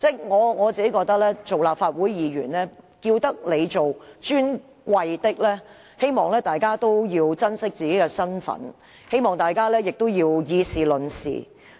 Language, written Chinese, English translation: Cantonese, 我認為立法會議員既獲稱為"尊貴的議員"，大家應該珍惜自己的身份。我希望大家以事論事。, As Members of the Legislative Council are given the title Honourable I think we should all have self - respect and take every matter on its merits